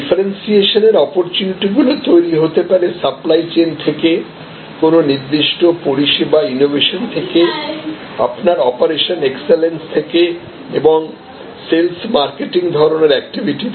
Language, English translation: Bengali, So, differentiation opportunities can be derived out of supply chain, out of certain kinds of service innovation, your operational excellence and marketing sales types of activities